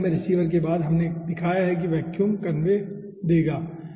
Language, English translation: Hindi, after the receiver in the gas line will give the vacuum convey question